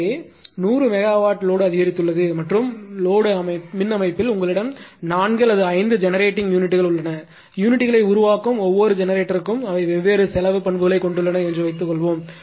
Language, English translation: Tamil, So, there is 100 megawatt increase of the load and suppose in the power system you have 4 or 5 generating units right and each generator in generating units they have different cost characteristic